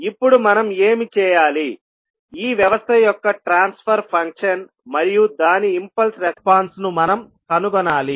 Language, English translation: Telugu, Now, what we have to do, we have to find the transfer function of this system and its impulse response